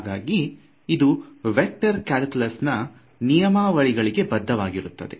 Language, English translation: Kannada, So, it obeys the usual laws of vector calculus